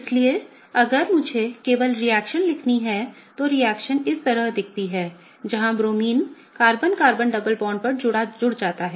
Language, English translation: Hindi, So, if I have to just write the reaction, the reaction looks like this where the Bromine gets added on the Carbon Carbon double bond